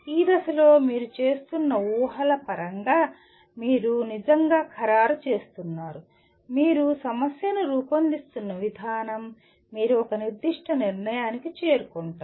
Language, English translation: Telugu, That means at this stage you are really finalizing in terms of the assumptions that you are making, the way you are formulating the problem, you reach a particular conclusion